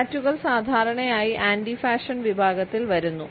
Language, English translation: Malayalam, Tattoos are normally put in this category of anti fashion